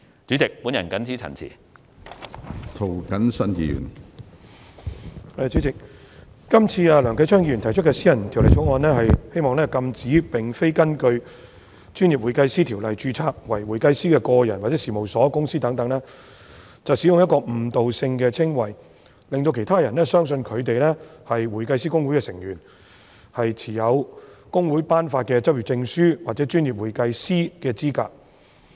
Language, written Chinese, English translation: Cantonese, 主席，梁繼昌議員提出的私人條例草案《2018年專業會計師條例草案》旨在禁止並非根據《專業會計師條例》註冊為會計師的個人、事務所或公司等使用具誤導性的稱謂，令到其他人相信他們是香港會計師公會成員，持有公會頒發的執業證書或專業會計師的資格。, President the private bill of the Professional Accountants Amendment Bill 2018 the Bill moved by Mr Kenneth LEUNG seeks to prohibit any individual firm or company not being registered under the Professional Accountants Ordinance from using misleading descriptions to mislead anyone into believing that they are members of Hong Kong Institute of Certified Public Accountants HKICPA holders of practising certificates issued by HKICPA or professional accountants